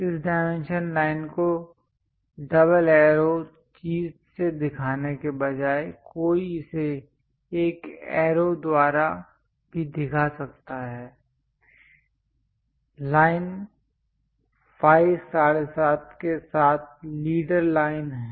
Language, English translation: Hindi, Instead of showing this dimension line double arrows thing one can also show it by a single arrow, a leader line with phi 7